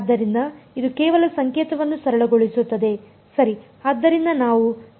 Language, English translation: Kannada, So, this just simplifies the notation right